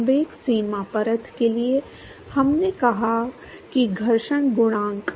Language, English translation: Hindi, For the momentum boundary layer, we said that the friction coefficient